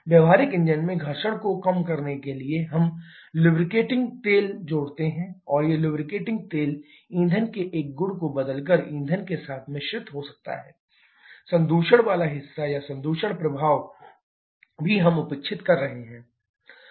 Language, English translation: Hindi, In practical engines in order to avoid to reduce the friction we add lubricating oil and this lubricating oil can get mixed up with the fuel by changing a property of the fuel itself, that contamination part or contamination effect also we are neglecting